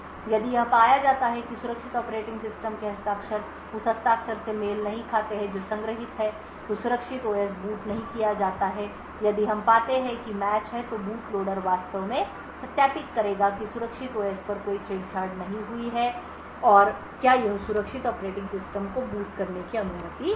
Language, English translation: Hindi, If it is found that signature of the secure operating system does not match the signature which is stored then the secure OS is not booted on the other hand if we find that there is a match then the boot loader would has actually verified that no tampering has occurred on the secure OS and would it could permit the secure operating system to boot